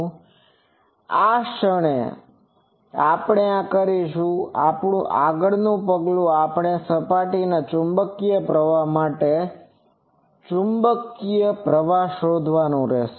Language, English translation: Gujarati, So, the moment we do this, our next step is straightforward we will have to find what is the magnetic current for this surface magnetic current